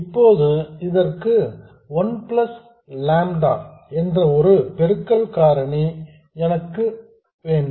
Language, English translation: Tamil, Now to this I have to have a multiplying factor of 1 plus lambda VDS